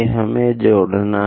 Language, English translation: Hindi, We have to connect